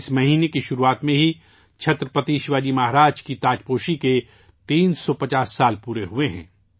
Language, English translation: Urdu, The beginning of this month itself marks the completion of 350 years of the coronation of Chhatrapati Shivaji Maharaj